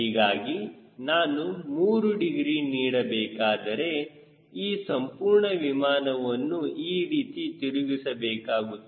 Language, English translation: Kannada, so if i want to give three degree i have to rotate the whole airplane like this